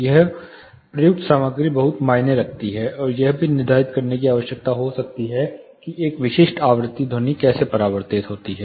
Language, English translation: Hindi, The material used here matters a lot, and may need also depend determines how a specific frequency sound is reflected